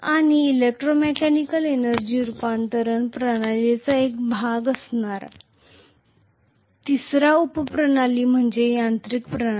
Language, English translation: Marathi, And the third type of subsystem which is the part of electromechanical energy conversion system is the mechanical system